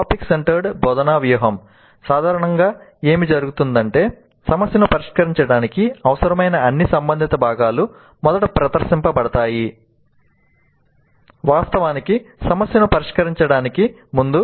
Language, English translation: Telugu, In a topic centered instructional strategy, what typically happens is that the all relevant component skills required to solve a problem are actually first presented before actually getting to solve the problem